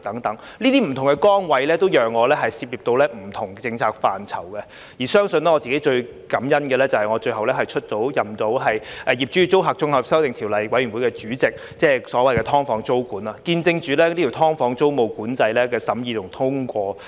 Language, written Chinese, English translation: Cantonese, 這些不同崗位都讓我涉獵不同的政策範疇，而相信我自己最感恩的，就是我最後出任《2021年業主與租客條例草案》委員會的主席，即所謂的"劏房"租管，見證着這"劏房"租務管制的審議和通過。, As Chairman of the Panel on Environmental Affairs I dealt with waste charging the Clean Air Plan and so on . These different posts allowed me to dabble in different policy areas and what I am most grateful for is that I have lastly taken on the post of Chairman of the Bills Committee on Landlord and Tenant Amendment Bill 2021 to deal with tenancy control on the so - called subdivided units witnessing the scrutiny and passage of this Bill for tenancy control on subdivided units